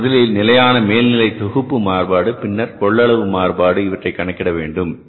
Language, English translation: Tamil, For that you have to first calculate the fixed overhead volume variance then the capacity variance